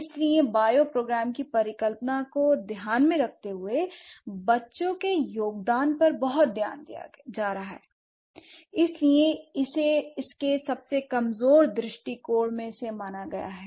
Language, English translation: Hindi, So, considering bioprogram hypothesis is focusing a lot on the contribution of children that this has been considered as one of its weakest perspective, right